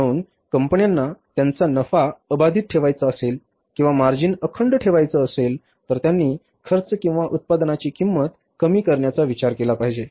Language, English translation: Marathi, So, if the companies want to keep their profits intact or the margins intact, they have first to look for reducing the cost or the cost of production, they cannot think of increasing the price